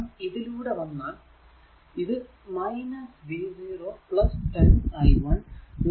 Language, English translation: Malayalam, So, if you come to this that, this is minus v 0 plus 10 into i 1 plus 6 i 3 is equal to 0